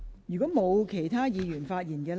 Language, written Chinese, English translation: Cantonese, 如果沒有，是否有官員想發言？, If not does any public officer wish to speak?